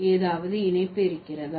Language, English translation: Tamil, Do you see any connection